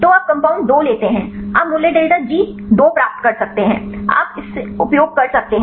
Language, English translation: Hindi, So, you take the compound two you can get the value delta G 2 you can use this right